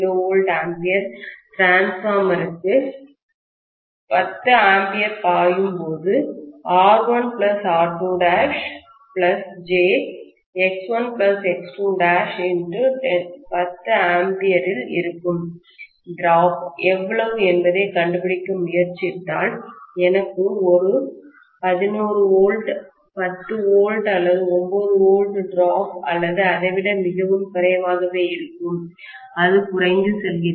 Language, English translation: Tamil, 2 kVA transformer, out of 220 volts if I try to find out how much is the drop that is taking place in R 1+ R2 dash plus j into X1 plus X2 dash multiplied by the 10 amperes will give me a drop of only about less than 11 volts, 10 volts or 9 volts or something, it is going to be so low